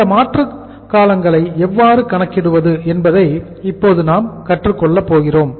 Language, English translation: Tamil, So how to calculate these periods how to calculate these durations